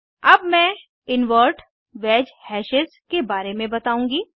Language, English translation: Hindi, Now I will explain about Invert wedge hashes